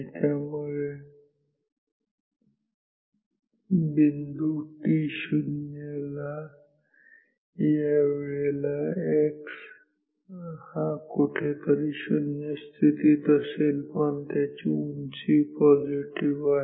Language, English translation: Marathi, So, the dot will be at t 0 somewhere here x position 0, but height is positive